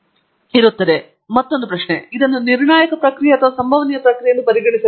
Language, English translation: Kannada, Now, once again the question should I treat this as a deterministic process or a stochastic process